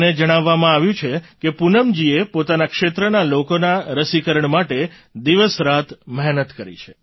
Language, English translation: Gujarati, I am given to understand that Poonam ji has persevered day and night for the vaccination of people in her area